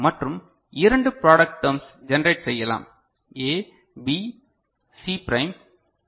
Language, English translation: Tamil, And two product terms we can generate like A, B, C prime